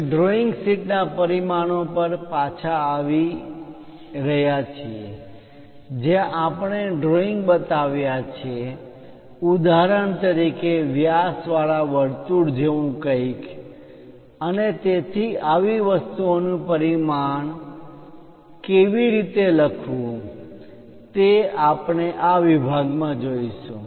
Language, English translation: Gujarati, Now, coming back to the dimensions of the drawing sheet, where we have shown the pictures for example, something like a circle with diameter and so, on so, things how to name such kind of things we are going to look at in this section